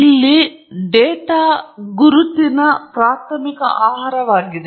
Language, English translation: Kannada, And here data is the primary food for identification